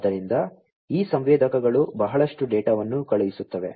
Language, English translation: Kannada, So, this these sensors will be sending lot of data